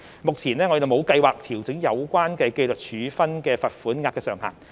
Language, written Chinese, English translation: Cantonese, 目前，我們沒有計劃調整有關的紀律處分罰款額上限。, We currently do not have any plan to revise the maximum level of the pecuniary penalty for disciplinary sanctions